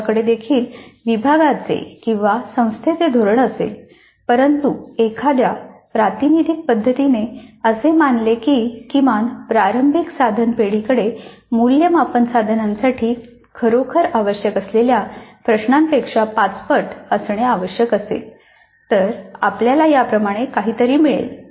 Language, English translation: Marathi, We might be having a policy of the department or the institute also but in a representative fashion if we assume that at least the initial item bank should have five times the number of items which are really required for the assessment instrument, we would get something like this